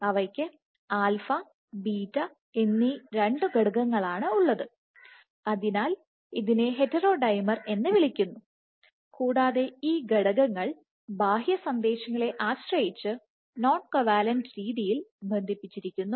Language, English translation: Malayalam, So, they have 2 unit is alpha and beta, then hence called the heterodimer, and these unit is associate in a non covalent manner depending on the outside signal